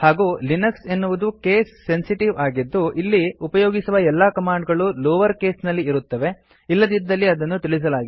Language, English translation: Kannada, Please also note that Linux is case sensitive and all the commands used in this tutorial are in lower case unless otherwise mentioned